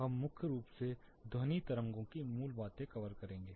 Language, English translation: Hindi, We will primarily cover the basics of sound waves